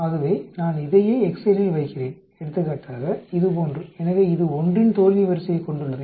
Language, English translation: Tamil, So same thing I am putting it in excel for example, like this, so this has a failure order of 1